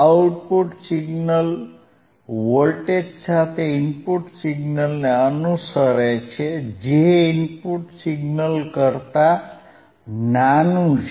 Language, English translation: Gujarati, oOutput signal follows the input signal with a voltage which is smaller than the input signal